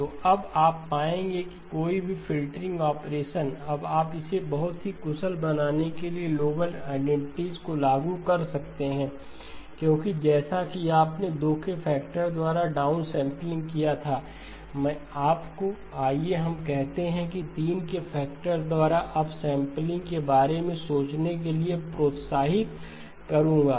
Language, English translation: Hindi, So what you will now find is that any filtering operation, you can now apply the noble identities to make it very efficient because just as you did the down sampling by a factor of 2, what I would encourage you to think about is the up sampling by let us say by a factor of 3